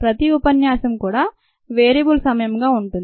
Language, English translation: Telugu, the each lecture would be a variable time